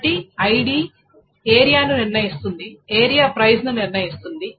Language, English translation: Telugu, So that means ID determines, so this is the problem, ID determines area which determines price